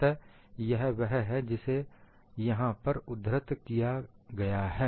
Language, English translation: Hindi, So, that is what is mentioned here